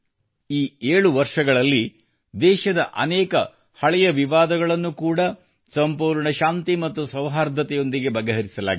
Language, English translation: Kannada, In these 7 years, many old contestations of the country have also been resolved with complete peace and harmony